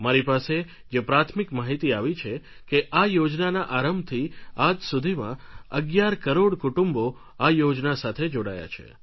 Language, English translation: Gujarati, The preliminary information that I have, notifies me that from launch till date around 11 crore families have joined this scheme